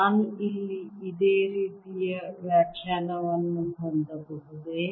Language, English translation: Kannada, can i have a similar interpretation here in